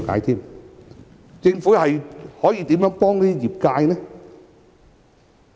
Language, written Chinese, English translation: Cantonese, 政府可如何幫助業界呢？, How can the Government help the trades and industries?